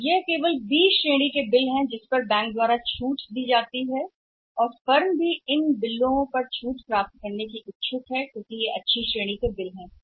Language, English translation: Hindi, So it is only the B category of the bills which are discounted by the bank and firms are also interested to get these bills discounted because they are only in the good category or in the fair category